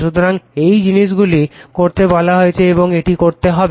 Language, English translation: Bengali, So, these are the thing have been asked to and you have to do it